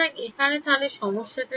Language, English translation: Bengali, So, what is the problem now over here